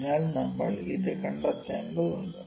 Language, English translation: Malayalam, So, we need to find that